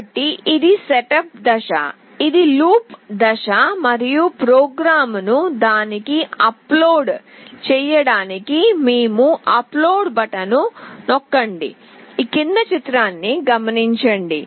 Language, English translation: Telugu, So, this is the setup phase, this is the loop phase and we press on the upload button to upload the program to it